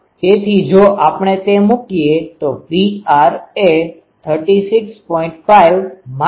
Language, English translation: Gujarati, So, if we put that then P r becomes 36